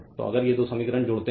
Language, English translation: Hindi, So, add these two equations if you do